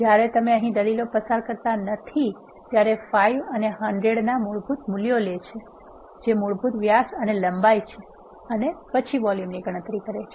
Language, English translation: Gujarati, When you do not pass any arguments here it takes the default values of 5 and 100 which are default diameter and length and then calculates the volume